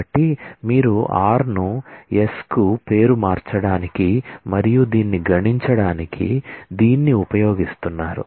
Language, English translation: Telugu, So, you are using this to rename r to s and then compute this